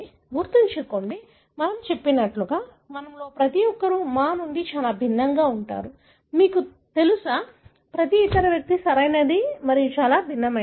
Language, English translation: Telugu, Remember, like we said that, you know, each one of us are very different from our, you know, every other individual, right, very different